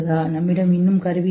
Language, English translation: Tamil, We still don't have tools to